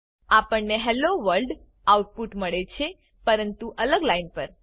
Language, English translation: Gujarati, We get the output Hello World, but on separate lines